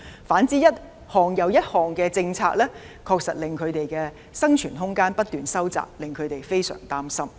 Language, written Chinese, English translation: Cantonese, 反之，一項又一項的政策，確實令他們的生存空間不斷收窄，令他們非常擔心。, On the contrary government policies launched one after another have indeed restricted their room for survival and made them feel very worried